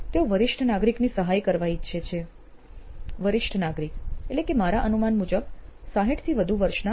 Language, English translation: Gujarati, They wanted to help senior citizen, a senior citizen meaning more than I guess 60 years of age